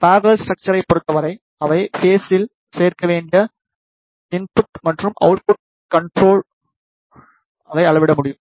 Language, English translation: Tamil, In case of parallel structure, it can be measured by the input and output current they should add up in phase